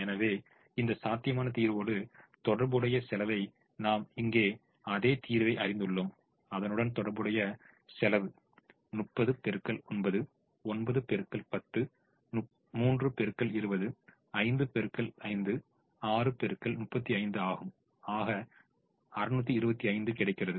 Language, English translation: Tamil, so the cost associated with this feasible solution i have shown the same solution here the cost associated is thirty into eight, plus nine, into ten, plus three, into twenty plus five, into five, plus six, into thirty five, which happens to be six hundred and twenty five